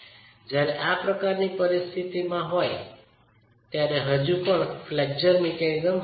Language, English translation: Gujarati, When we are in that sort of a situation, it can still be dominated by a flexural mechanism